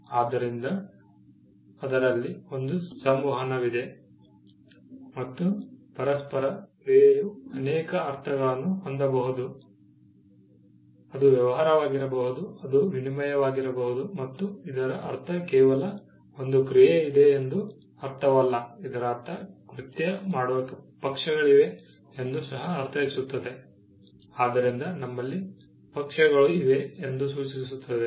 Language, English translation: Kannada, So, there is an interaction, interaction can have multiple connotations, it can be a dealing, it can be exchange and it also means; it just not means that there is an act, it also means that there are parties who perform the act, so we have parties as well